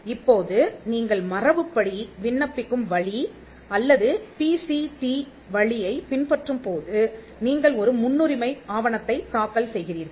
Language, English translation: Tamil, Now when you follow the convention application route or the PCT route, you file a priority document